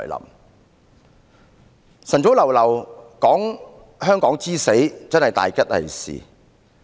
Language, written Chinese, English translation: Cantonese, 一大清早談論香港之死，真是大吉利是。, It is inauspicious to talk about the death of Hong Kong early in the morning